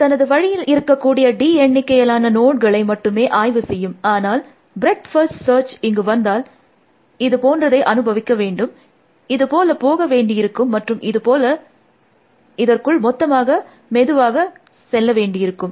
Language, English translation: Tamil, So, it only inspects a d number of nodes on the way, but when breadth first search comes to this, it has to go through like this, and like this and plot through this whole thing one slowly, slowly